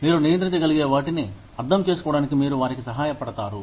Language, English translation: Telugu, You help them understand, what you can control